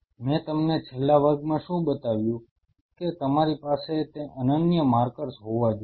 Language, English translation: Gujarati, What I showed you in the last class, that you have to have those unique markers